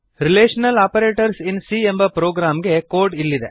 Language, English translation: Kannada, Here is the code for relational operators in C++